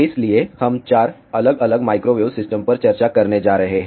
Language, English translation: Hindi, So, we are going to discuss 4 different Microwave Systems